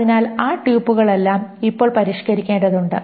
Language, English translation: Malayalam, So all those pupils now need to be modified